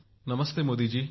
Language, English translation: Marathi, Namaste Modi ji